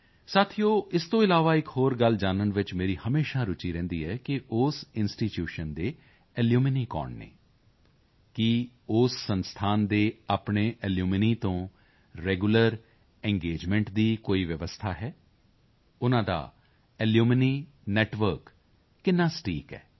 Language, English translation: Punjabi, besides this, I am always interested in knowing who the alumni of the institution are, what the arrangements by the institution for regular engagement with its alumni are,how vibrant their alumni network is